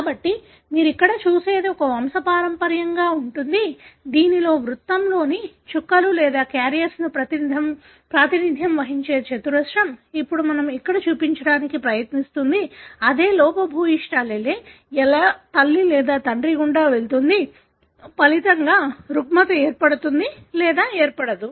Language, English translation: Telugu, So, what you see here is a pedigree, wherein the colours that the dots either within the circle or the square which represent the carriers, now what we are trying to show here is that how the same defective allele, when passed through either mother or father results in having a given disorder or not